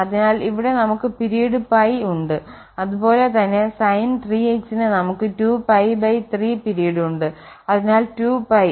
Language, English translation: Malayalam, So, here we have the period pie and similarly for the sin3x we have 2 pie over this number 3 here